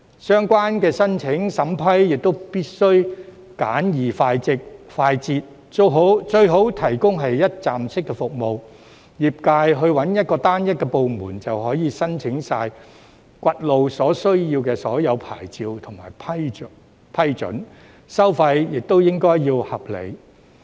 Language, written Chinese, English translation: Cantonese, 相關申請審批亦必須簡易快捷，最好是提供一站式服務，業界尋找單一部門，便可申請掘路所需的所有牌照和批准，收費亦要合理。, The applications must also be approved in a simple and expeditious manner . It is best to provide one - stop services so that the sector can find a single department to process their applications for all the necessary licences and approvals for road excavation at reasonable fees